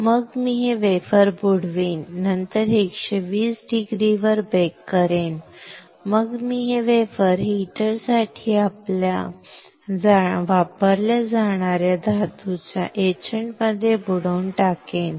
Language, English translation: Marathi, And then I will dip this wafer; post bake this at 120 degree and I will dip this wafer in the etchant for the metal that is used for heater